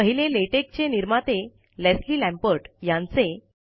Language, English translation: Marathi, The first one is by the original creator of Latex, Leslie Lamport